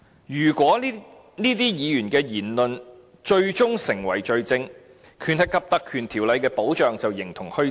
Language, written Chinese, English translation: Cantonese, 如果議員的言論最終成為罪證，則《立法會條例》的保障便形同虛設。, If the matters said by the Member is finally adduced as evidence of the offence then the protection provided under the Ordinance will be meaningless